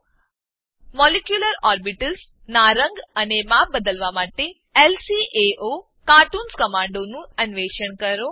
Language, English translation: Gujarati, Explore lcaocartoon command to change the color and size of molecular orbitals